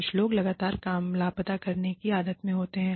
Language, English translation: Hindi, Some people are constantly in the habit of, missing work